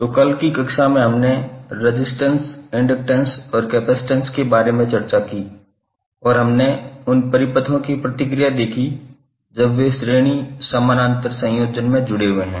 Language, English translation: Hindi, So yesterday in the class we discussed about the resistance, inductance and capacitance and we saw the response of those circuits when they are connected in series, parallel, combination